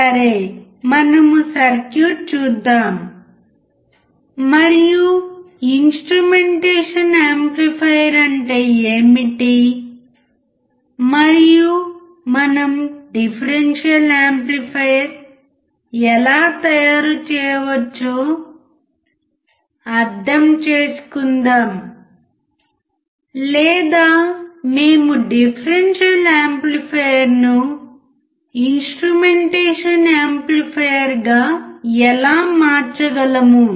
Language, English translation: Telugu, Solet us see the circuit and let us understand what exactly instrumentation amplifier is and how we can make a differential amplifier or we can convert a differential amplifier to an instrumentation amplifier